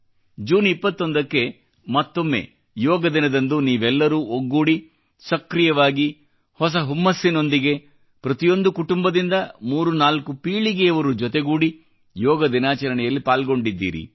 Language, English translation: Kannada, On 21st June, once again, Yoga Day was celebrated together with fervor and enthusiasm, there were instances of threefour generations of each family coming together to participate on Yoga Day